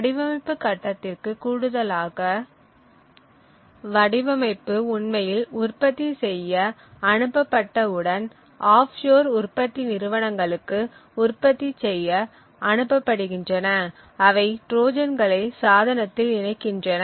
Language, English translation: Tamil, In addition to the design phase once the design is actually sent out for manufacture the offshore manufacturing companies may also insert Trojans in the device